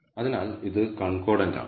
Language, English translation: Malayalam, So, it is a concordant pair